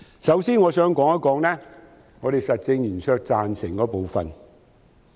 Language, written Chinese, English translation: Cantonese, 首先，我想談談我們實政圓桌贊成的部分。, For starters I wish to talk about the parts that we in the Roundtable support